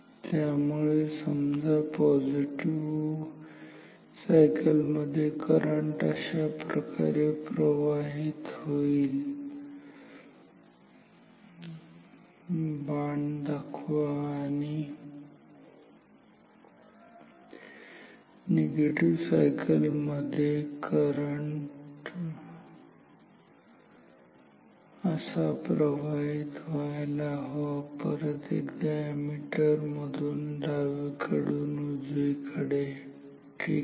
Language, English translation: Marathi, So, say I one in the positive cycle current should flow like this ok, put an arrow and say in the negative cycle, I want the current to flow like this, again left to right through ammeter ok